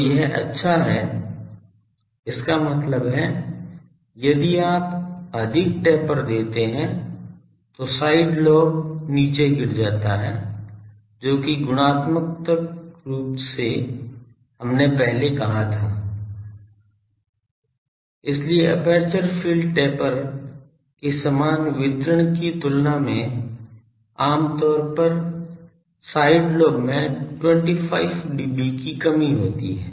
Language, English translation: Hindi, So, that is good; that means, if you give more taper the side lobe falls down which qualitatively we said earlier; so, compared to uniform distribution of the aperture field taper gives 25 dB reduction in side lobe typically